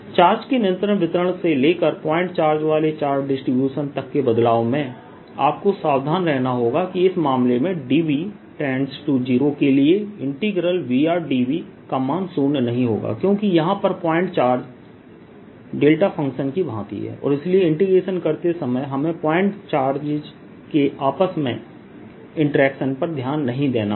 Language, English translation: Hindi, in making this transition from continuous distribution of charges to charge distribution consisting of point charges, you have to be careful that in this case, integration row r d v for d v tending to zero does not go to zero (refer time 15:00) because this point charges are like delta functions and therefore in doing integration i have to explicitly avoid self introduction of charges